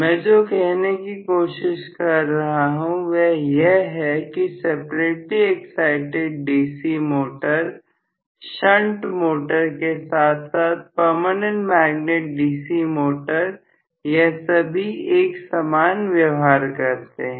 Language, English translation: Hindi, What I am trying to say is separately excited DC motor, shunt motor as well as permanent magnet DC motor all 3 of them behave very very similarly